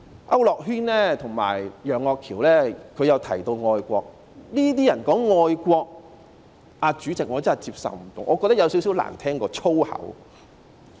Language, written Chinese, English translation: Cantonese, 區諾軒議員和楊岳橋議員均提到愛國，這些人說愛國，主席，我真的不能接受，我覺得有點兒較粗口更難聽。, When these people talked about loving the country President I really find it unacceptable and I think it is even more unpleasant to the ear than swear words